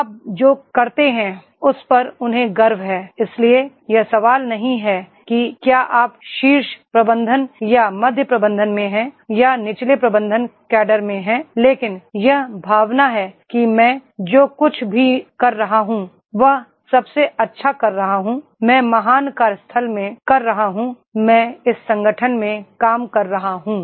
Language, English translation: Hindi, They have pride in what you do, so it is the question not that is whether you are in the top management or middle management or in the lower management cadre but it is the feeling is there that is whatever I am doing I am doing the best, I am doing in the great workplace, I am working in this organization